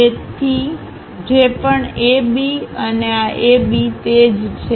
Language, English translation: Gujarati, So, whatever AB and this AB, one and the same